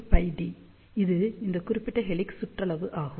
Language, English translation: Tamil, C is equal to pi D, which is circumference of this particular helix